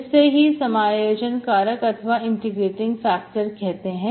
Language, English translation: Hindi, This is called integrating factor